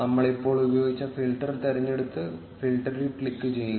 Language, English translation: Malayalam, Let us choose the previously existing filter which we just tried and click on filter